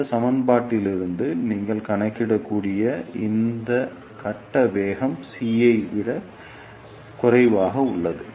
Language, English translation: Tamil, This phase velocity is less than C as you can see from this equation